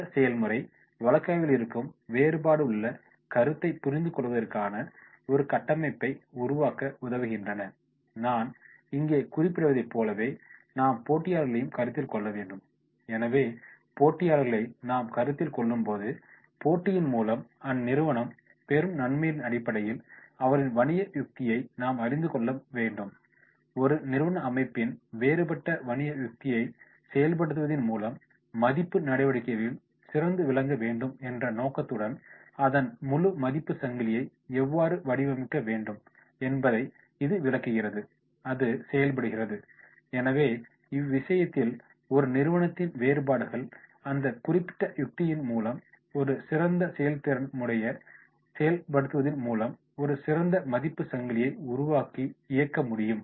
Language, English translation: Tamil, These cases helps develop a framework for understanding the concept of differentiation, as I mention that is the here we are considering the competitors also, so when we are considering the competitors also we should come out with the strategy which will be much differentiate along the basis of the competitive advantage which an organization will gain, it illustrates how an organization implementing a strategy of differentiation needs to design its entire value chain with the intent to be outstanding in every value activity that it performs and therefore in that case this particular strategy of differentiation will create a value chain in taking the decision making process and where this performance will be operated